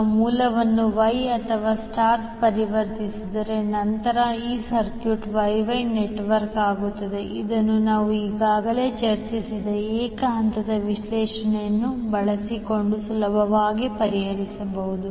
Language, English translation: Kannada, Now once the source is transformed into Y or star, these circuit becomes Y Y network which can be easily solved using single phase analysis which we have already discussed